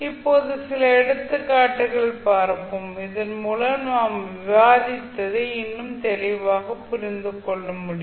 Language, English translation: Tamil, So Nnow let’ us see few of the example, so that we can understand what we discuss till now more clearly